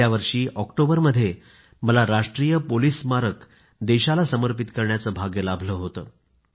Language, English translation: Marathi, In the month of Octoberlast year, I was blessed with the opportunity to dedicate the National Police Memorial to the nation